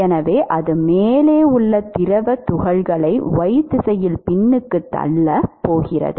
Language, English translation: Tamil, Therefore, it is going to retard the fluid particles above it in the y direction, right